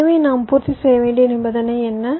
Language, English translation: Tamil, so what is the condition we have to satisfy